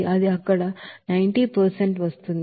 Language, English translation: Telugu, So it is coming out as 90